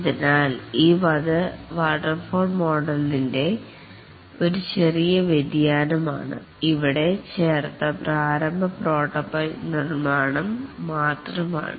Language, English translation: Malayalam, So, it's a small variation of the waterfall model, only the initial prototype construction that is added here